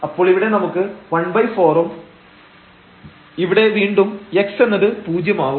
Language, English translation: Malayalam, So, here we will have 1 over 4 and then here again x that will become 0